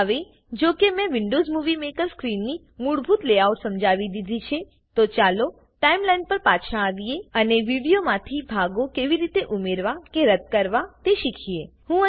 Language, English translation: Gujarati, Now that I have explained the basic layout of the Windows Movie Maker screen, lets come back to the Timeline and learn how to add or remove portions from a video